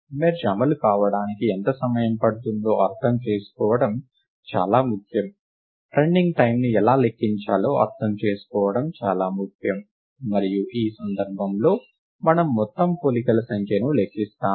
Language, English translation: Telugu, It is very important to get an understanding of how much time it takes for merge to run, it is crucial to understand, how does one count the running time, and in this case we count the total number of comparisons